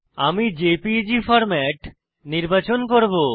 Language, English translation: Bengali, I will select JPEG format